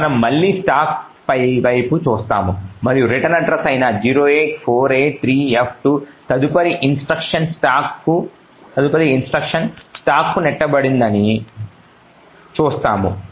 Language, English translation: Telugu, So we would look at the stack again and we will see that the next instruction 08483f2 which is the return address is pushed on to the stack